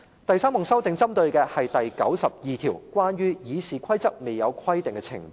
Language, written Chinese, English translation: Cantonese, 第三項修訂是針對第92條，關於"議事規則未有規定的程序"。, The third amendment is on RoP 92 concerning Procedure if Rules of Procedure do not provide